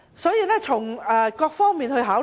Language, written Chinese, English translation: Cantonese, 所以，從各方面來考慮......, So considering from different perspectives